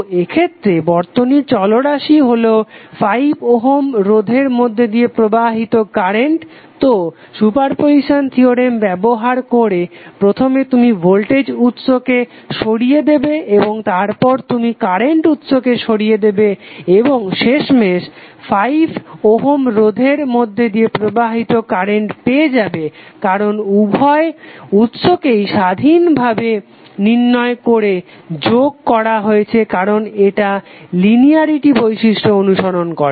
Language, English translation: Bengali, So in this case the circuit variable was current flowing through 5 Ohm resistance, so using super position theorem first you removed the voltage source and then you remove the current source and finally rent flowing through 5 Ohm resistance because of both of this sources independently were summed up because it will follow linearity property